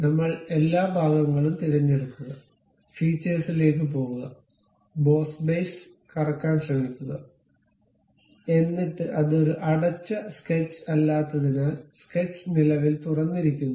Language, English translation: Malayalam, I will select this entire one, go to features, try to revolve boss base, then it says because it is not a closed sketch, the sketch is currently open